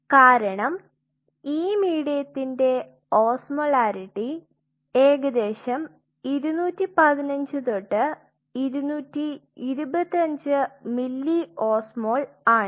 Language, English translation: Malayalam, Because the osmolarity of this medium is approximately 215 to 225 milliosmole